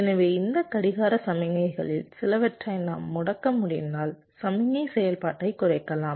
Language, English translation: Tamil, so if we can disable some of these clock signals, then the signal activity can be reduced